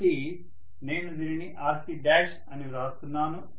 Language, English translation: Telugu, So I am writing that as RC dash